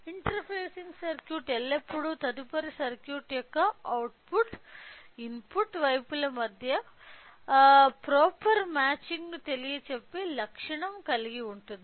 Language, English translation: Telugu, So, the interfacing circuit should always have to have a property of you know providing proper matching between the output side to the input side of the next circuit